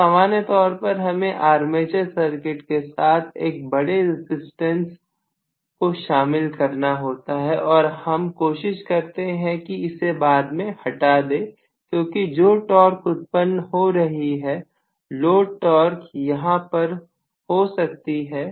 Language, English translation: Hindi, So, normally I need to include a small, a large resistance in the armature circuit and I will try to cut it off because what will happen is, this is the torque that is generated, may be the load torque is somewhere here